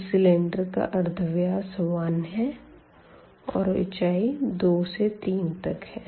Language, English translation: Hindi, So, the radius of the cylinder is 1 and the height here is from 2 to 3